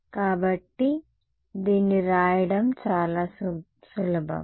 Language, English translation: Telugu, So, this should be very easy to write down